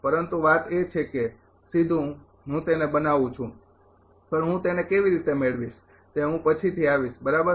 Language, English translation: Gujarati, But thing is that directly I am making it, but how I am going getting it I will come later right